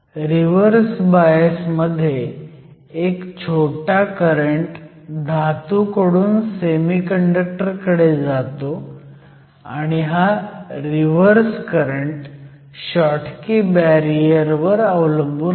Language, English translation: Marathi, In the case of reverse bias, there is a small current that goes from the metal to the semiconductor and this current which is your reverse current, depends upon the schottky barrier